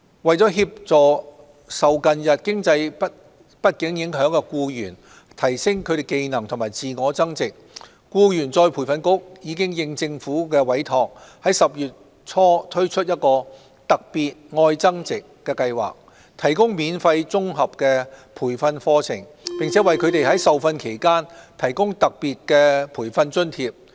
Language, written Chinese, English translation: Cantonese, 為協助受近日經濟不景影響的僱員提升技能及自我增值，僱員再培訓局應政府委託，已於10月初推出"特別•愛增值"計劃，提供免費綜合培訓課程，並為他們在受訓期間提供特別培訓津貼。, To assist employees who are affected by the recent economic downturn to enhance their skills and self - improvement the Employees Retraining Board commissioned the Love Upgrading Special Scheme in early October to provide free integrated skills enhancement training and special allowance for the trainees